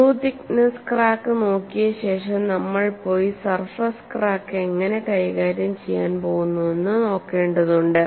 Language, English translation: Malayalam, After having looked at through the thicknesses cracks, we will have to go and look at how you are going to handle these surface cracks